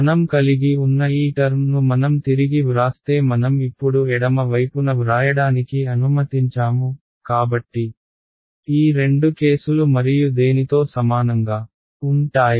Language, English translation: Telugu, If I just rewrite if I look at this these terms that I have so I have let me write on the left hand side now; so these are the two cases and is equal to what